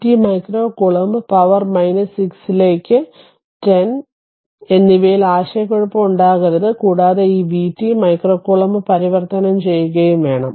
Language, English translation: Malayalam, So, v t micro coulomb right, there should not be any confusion in case 10, 10 to the power minus 6 and converted this v t micro coulomb right